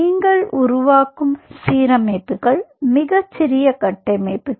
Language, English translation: Tamil, ok, so restructures which you are making are very small structures